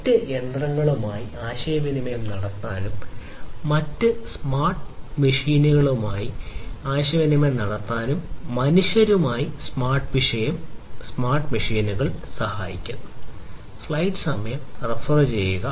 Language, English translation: Malayalam, Smart machines help in communicating with other machines, communicating with other smart devices, and communicating with humans